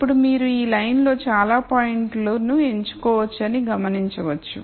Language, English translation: Telugu, Now, you notice that you could pick many many points on this line